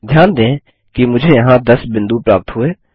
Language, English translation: Hindi, notice I get 10 points here